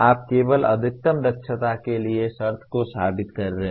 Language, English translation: Hindi, You are only proving the condition for maximum efficiency